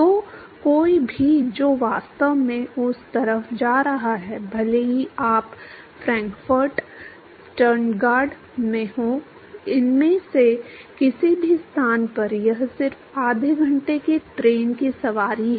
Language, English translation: Hindi, So, anyone who is actually going around that side even if you are in Frankfurt, Stuttgart, any of these places it is just a half an hour train ride